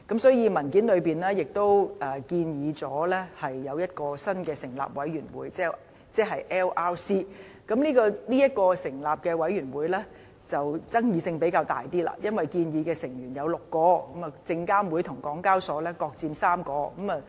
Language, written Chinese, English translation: Cantonese, 所以，文件中亦建議一個新成立的委員會 LRC， 而對於成立這個委員會的爭議性就較大，因為建議成員有6位，由證監會和香港交易及結算所有限公司各佔3位。, As such the establishment of the Listing Regulatory Committee LRC is also recommended in the paper but has become a relatively more controversial issue since LRC will comprise six members with three representing SFC and another three representing the Hong Kong Exchanges and Clearing Limited HKEx